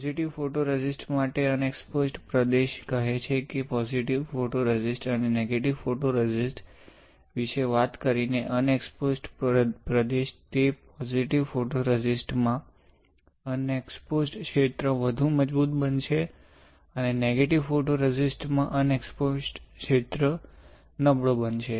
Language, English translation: Gujarati, For positive photoresist, the unexposed region says unexposed region by talking about positive photoresist and negative photoresist, that unexposed region in positive photoresist would become stronger and the unexposed region in the positive photoresist sorry, the unexposed region in the negative photoresist will become weaker